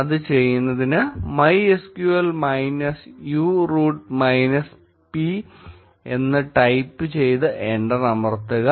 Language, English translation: Malayalam, To do that, type MySQL minus u root minus p and press enter